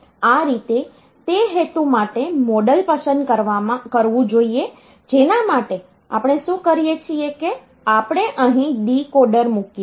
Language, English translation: Gujarati, So, that way the model should be selected for that purpose what we do we put a decoder here